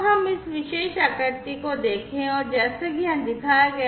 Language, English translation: Hindi, So, let us look at this particular figure and as shown over here